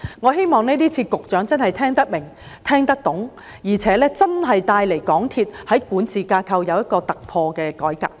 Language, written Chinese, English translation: Cantonese, 我希望局長今次聽得明白，聽得懂，而且真的為港鐵公司的管治架構帶來一個突破性改革。, I hope that the Secretary understands clearly my speech this time and will introduce a breakthrough reform to MTRCLs governance structure